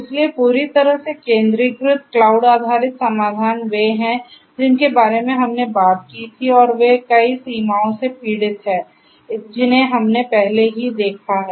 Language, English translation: Hindi, So, entirely centralized cloud based solutions are the ones that we talked about and they suffer from many limitations which we have already seen